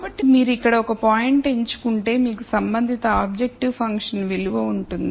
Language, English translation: Telugu, So, if you pick a point here then you would have a corresponding objective function value